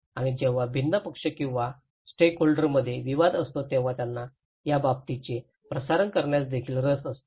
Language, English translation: Marathi, And when there is a conflict among different parties or stakeholders they are also very interested to transmit that news